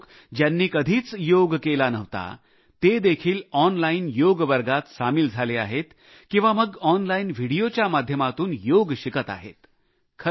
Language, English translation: Marathi, Many people, who have never practiced yoga, have either joined online yoga classes or are also learning yoga through online videos